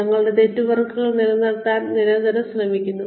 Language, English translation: Malayalam, Constantly trying to maintain our networks